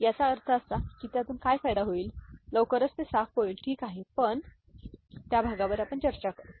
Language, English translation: Marathi, I mean what is the benefit out of it, will be cleared very soon, ok, we shall discuss that part